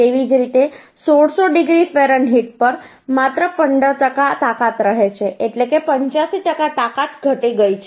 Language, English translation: Gujarati, Similarly, uhh at 1600 degree Fahrenheit, uhh 15 percent strength only remains